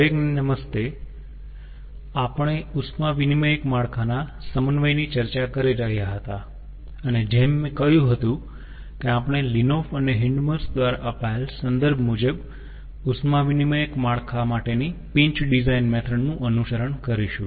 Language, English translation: Gujarati, ah, we were discussing the synthesis of heat exchanger network and, as i had mentioned that, we will follow the reference ah, the pinch design method for heat exchanger network by linnhoff and hindmarsh